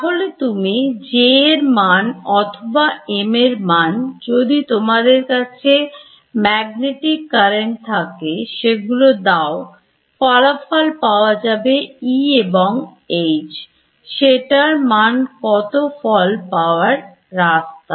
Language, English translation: Bengali, So, you give me J and maybe even M if you have a magnetic current and out comes E and H this is a standard route